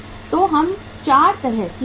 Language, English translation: Hindi, So we have the 4 kind of the cost